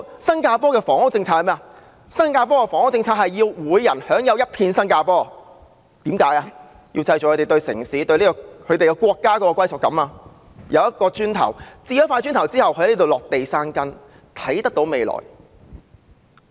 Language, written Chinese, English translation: Cantonese, 新加坡的房屋政策是要人人都擁有一片新加坡，務求令市民對城市、對國家產生歸屬感，讓他們置一塊"磚頭"，在當地落地生根，看得見未來。, The housing policy of Singapore strives to let everyone own a piece of Singapore as a way to cultivate in their people a sense of belonging to the city and to the nation . This policy enables them to attain home ownership grow roots there and see a future